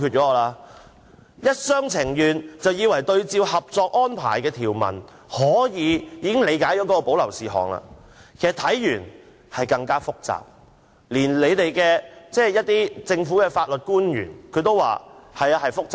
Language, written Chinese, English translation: Cantonese, 政府一廂情願，以為參照《合作安排》的條文便可以理解何謂保留事項，但其實令人更覺複雜，連政府的法律官員亦表示複雜。, The Government has the wishful thinking that people could understand the meaning of reserved matters by making reference to the provisions of the Co - operation Arrangement . However members of the public are even more perplexed even the Governments legal officials have indicated the complexity of the matter